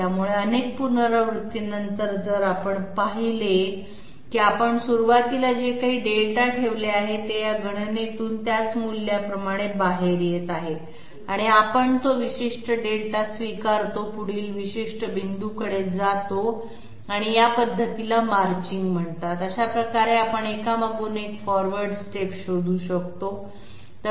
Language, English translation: Marathi, So after several iterations if we observe that whatever Delta we put in at the beginning, it is coming out as the same value from this calculation we accept that particular Delta and move onto the next particular point and this method is called Marching and this way we can find out the forward steps one after the other